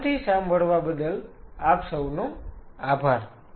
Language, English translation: Gujarati, Thank you for a patience listening